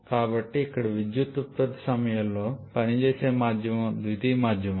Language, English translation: Telugu, So, here the working medium at the time of power production is a secondary medium